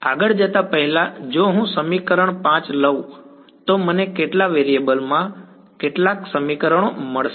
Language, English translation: Gujarati, Before we further if I take equation 5 over here how many equations in how many variables will I get